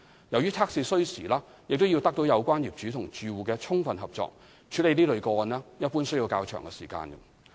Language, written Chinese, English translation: Cantonese, 由於測試需時，並要得到有關業主或住戶的充分合作，處理這類個案一般需要較長時間。, As these tests take time and require full cooperation of the owners or occupants concerned the processing of such cases generally takes more time